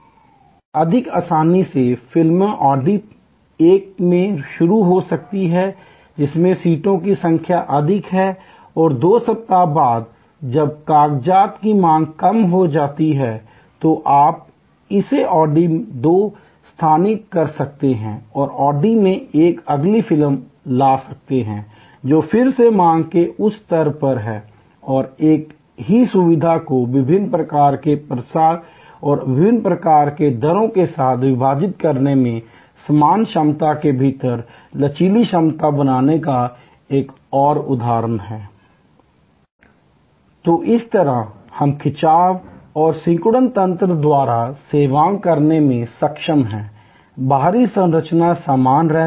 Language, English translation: Hindi, Or more easily movies may start in audi one which has a much higher number of seats and after two weeks when the demand short of papers, you can move it audi two and bring in audi one the next movie which is at a much higher level of demand again and another example of splitting the same facility with different kind of offerings and different kind of rates and creating flexible capacity within the same over all capacity